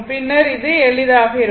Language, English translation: Tamil, Then it will be easier